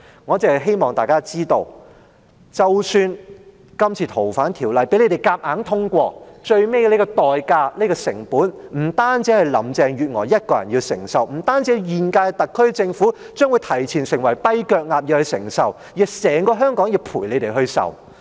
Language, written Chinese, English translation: Cantonese, 我只希望大家知道，即使今次"逃犯條例"被你們強行通過，最終的代價、成本不單是林鄭月娥一人要承受，不單是現屆特區政府因提前成為"跛腳鴨"而要承受，而是整個香港也要陪你們一同承受。, Even though the FOO amendment is forced through this Council by you people the ultimate price or cost is not borne by Carrie LAM only . It is borne not only by the current - term SAR Government for it becoming a lame duck ahead of schedule . But the entire Hong Kong is made to bear it with you